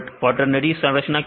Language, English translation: Hindi, What is quaternary structure